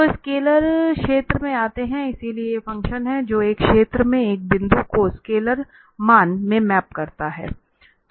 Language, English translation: Hindi, So, coming to the scalar field, so these are the functions that map a point in a space to a scalar value